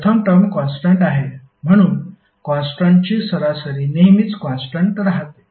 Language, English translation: Marathi, First term is anyway constant, so the average of the constant will always remain constant